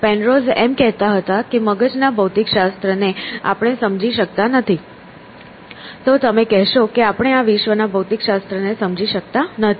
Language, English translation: Gujarati, So, like Penrose was saying that the physics of the brain we do not understand, then you would be saying that we do not understand the physics of this world essentially